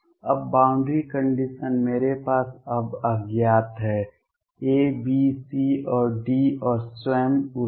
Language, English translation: Hindi, Now, the boundary condition I have now unknowns A B C and D and the energy itself